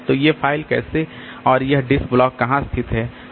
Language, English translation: Hindi, How are this disk blocks located